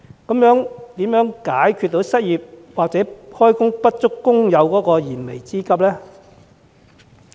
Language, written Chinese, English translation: Cantonese, 這樣怎能解決失業或就業不足工友的燃眉之急呢？, How can the pressing challenges faced by unemployed and underemployed workers be addressed?